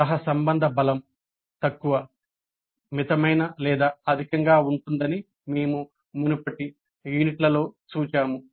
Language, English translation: Telugu, This we have seen in the earlier units that the correlation strength can be low, moderate or high